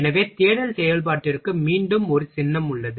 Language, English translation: Tamil, So, there is a symbol for search operation again find